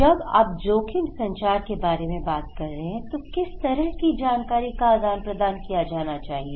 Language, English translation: Hindi, When you are talking about risk communication, what kind of information they should share, exchange